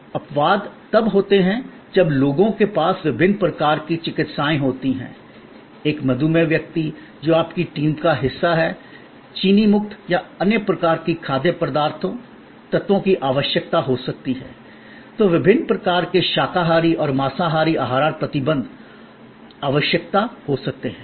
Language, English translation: Hindi, Exceptions are when people have the different kind of medical, say a diabetic person, whose part of your team, may need a sugar free or other types of foods, elements, then there can be different kinds of vegetarian and non vegetarian dietary restrictions, requirements